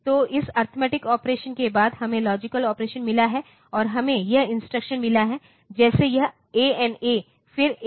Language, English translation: Hindi, So, after this arithmetic operations, we have got logic operations, and we have got this instructions like; and so, this ANA then ANI